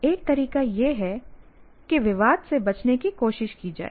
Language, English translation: Hindi, One way is to try to avoid the controversy